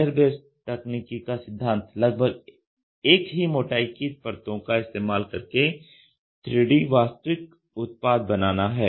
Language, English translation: Hindi, The principle of the layer based technology is to compose a 3 dimensional physical object called part from many layers of mostly equal thickness